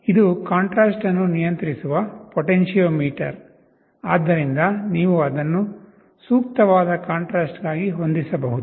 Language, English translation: Kannada, This is the potentiometer for controlling the contrast, so you can adjust it for a suitable contrast